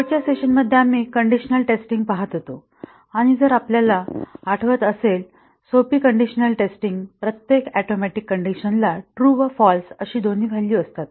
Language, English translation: Marathi, In the last session, we were looking at condition testing and if you remember that a simple condition testing, each atomic condition is made to have both true and false values